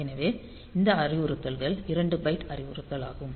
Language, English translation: Tamil, So, that will come to this second byte